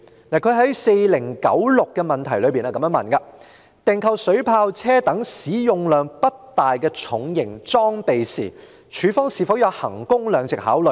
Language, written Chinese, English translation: Cantonese, 他在問題編號4096中問到："訂購水炮車等使用量不大的重型裝備時，是否有'衡工量值'的考慮？, In Question Serial No . 4096 he asked whether value for money is taken into consideration when procuring heavy duty equipment with low usage such as water cannon vehicles?